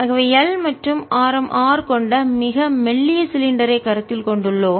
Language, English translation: Tamil, so we are really considering a very thin cylinder of length, l and radius r